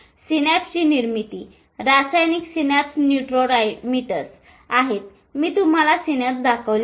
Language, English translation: Marathi, Chemical synapse, neurotransmitters are, so I showed you the synapse